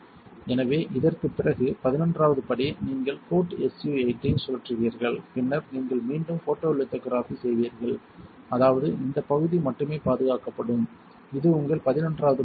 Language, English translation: Tamil, So, after this the eleventh step would be you spin coat SU 8 and then you again do photolithography, such that only this region is protected this is your eleventh step